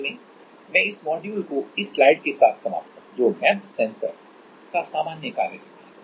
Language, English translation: Hindi, Finally, I will end this module with this slide that is general working principle for MEMS sensor